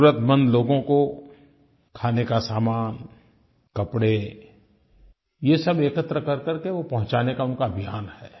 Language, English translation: Hindi, Under this campaign, food items and clothes will be collected and supplied to the needy persons